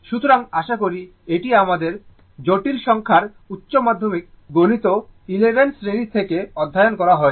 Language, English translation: Bengali, So, hope this is from your this is from your higher secondary mathematics in complex numbers chapter right class 11